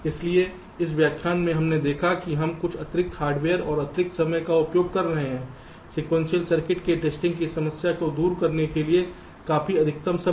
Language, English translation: Hindi, so in this lecture we have seen that we are using some additional hardware and also additional time, significantly additional time, to address the problem of testing sequential circuits